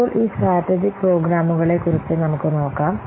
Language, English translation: Malayalam, Now, let's see about this strategic programs